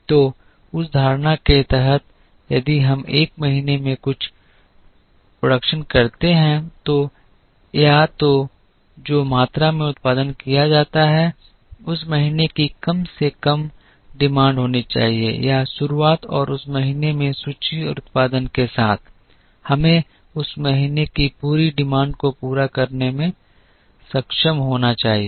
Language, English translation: Hindi, So, under that assumption if we produce something in a month, then either the quantity that is produced should be at least the demand of that month or with the beginning inventory and production in that month, we should be able to meet the entire demand of that month